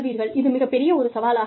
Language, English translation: Tamil, So, that becomes a very big challenge